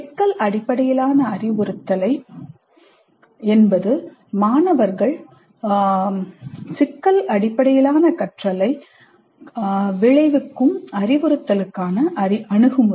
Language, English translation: Tamil, We use problem based instruction in the sense that it is the approach to instruction that results in problem based learning by the students